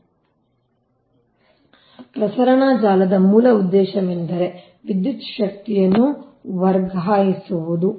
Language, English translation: Kannada, so basic purpose of a transmission network is to transfer electrical energy